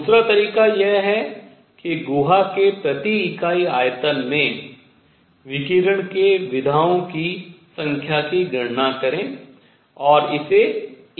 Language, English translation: Hindi, Second way is to count the number of modes that radiation has in the cavity per unit volume and multiply that by E bar both ways, this is the formula you get